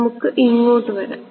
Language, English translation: Malayalam, Let us come over here